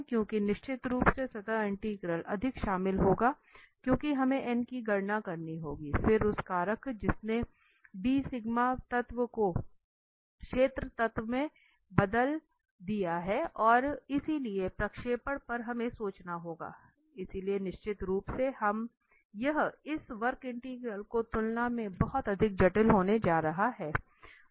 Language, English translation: Hindi, Because definitely the surface integral will be more involved because we have to compute n then that factor which converted d sigma element to the area element and so on the projection we have to think, so definitely this is going to be much more complicated as compared to this curve integral